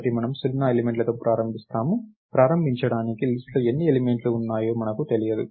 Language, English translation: Telugu, So, we start with zero elements, to begin with, we don't know how many elements are there in the list